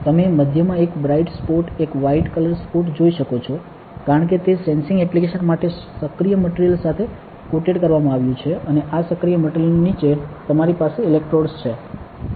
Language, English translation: Gujarati, You can see a bright spot a white color spot at the center right that is because it has been coated with an active material for sensing applications, and underneath this active material you have electrodes